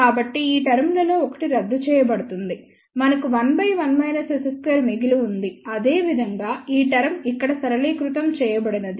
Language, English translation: Telugu, So, one of these terms will get cancelled so, we are left with 1 over 1 minus S 1 1 square similarly, this term simplifies over here